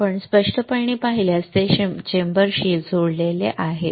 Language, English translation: Marathi, If you see clearly, it is connected to the chamber